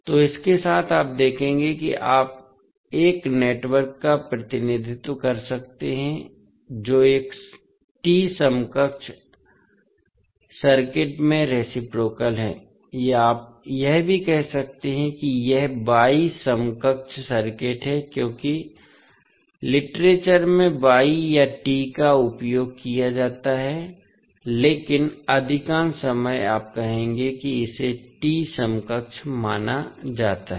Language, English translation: Hindi, So, with this you will see that you can represent a network which is reciprocal into a T equivalent circuit or you can also say this is Y equivalent circuit because Y or T are used interchangeably in the literature, but most of the time you will say that it is considered as a T equivalent